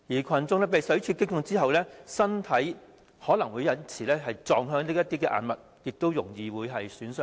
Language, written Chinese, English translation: Cantonese, 群眾被水柱擊中後，身體可能會撞向硬物以致造成損害。, When protesters are hit by water jets their bodies may be swept towards hard objects which may cause injuries to them